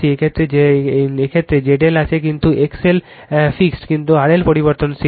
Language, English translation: Bengali, In this case in this case your Z L is there, where X L is fixed, but R L is variable